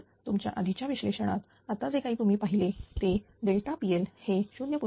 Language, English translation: Marathi, So, in our previous analysis just now whatever you have seen that delta P L is 0